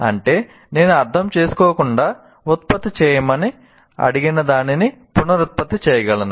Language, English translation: Telugu, That means I can reproduce whatever I was asked to produce without even understanding it